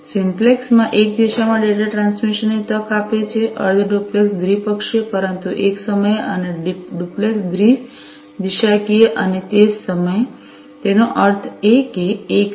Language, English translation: Gujarati, Simplex offers data transmission in one direction, half duplex bidirectional, but one at a time and duplex bi directional and at the same time; that means, simultaneously